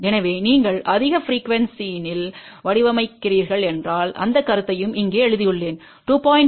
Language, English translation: Tamil, So, if you are designing at a high frequency I have written the comment also here that up to 2